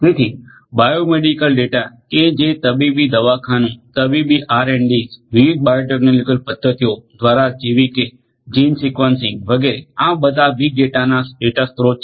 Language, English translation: Gujarati, So, then bio medical data generated from the medical clinics, medical R and Ds you know through different biotechnological you know different bio technological methods such as gene sequencing etcetera so all of these are data sources for this big data